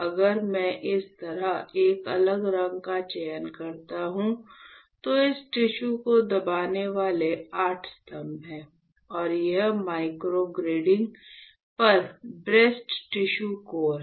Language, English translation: Hindi, So, if I select a different color like this, there are 8 pillars pressing this tissue alright; and this is the breast tissue core on the microgrid